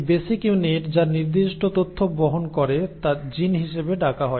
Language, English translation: Bengali, This basic unit which carries certain information is what you call as a “gene”